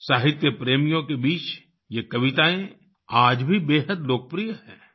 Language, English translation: Hindi, These poems are still very popular among literature lovers